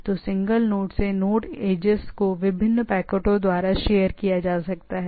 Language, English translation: Hindi, So, the single node to node edge can be shared by different packets